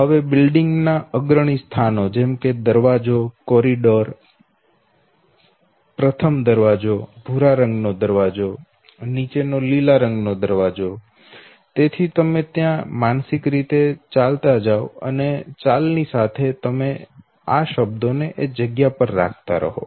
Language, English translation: Gujarati, Now the prominent places in the building the gate, the corridor okay, the first door, the brown door, the green down likewise, so all you do is that you now undertake a mental walk through and when you, now take the mental walk through